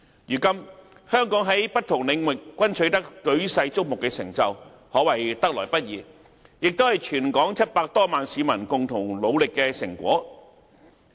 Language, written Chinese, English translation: Cantonese, 如今，香港在不同領域均取得舉世矚目的成就，可謂得來不易，也是全港700多萬名市民共同努力的成果。, To date Hong Kong has made world - renowned accomplishments in various areas . Such hard - earned accomplishments are the fruits of the concerted efforts of the 7 million - odd Hong Kong residents